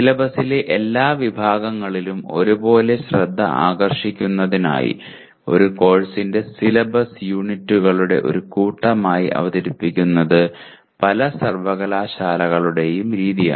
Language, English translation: Malayalam, It is the practice of many universities to present the syllabus of a course as a set of units to facilitate equal attention to all sections of the syllabus